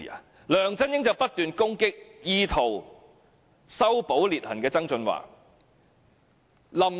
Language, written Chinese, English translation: Cantonese, 接着，梁振英便不斷攻擊意圖修補裂痕的曾俊華。, Subsequently LEUNG Chun - ying kept attacking John TSANG who attempted to mend the rift